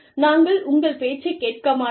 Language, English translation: Tamil, We cannot listen to you